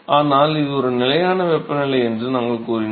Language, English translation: Tamil, But we said it is a constant temperature condition